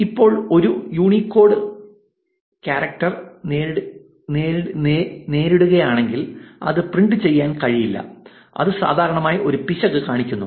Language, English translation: Malayalam, Now, if it encounters a Unicode character it is not able to print it and it usually throws an error